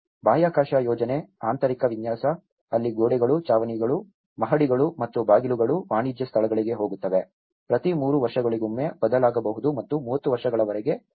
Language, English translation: Kannada, A space plan, an interior layout, where walls, ceilings, floors and doors go commercial spaces can change as often as every 3 years and remain the same for 30 years